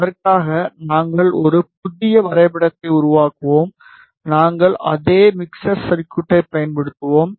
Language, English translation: Tamil, For that, we will create a new graph; we will use the same mixer circuit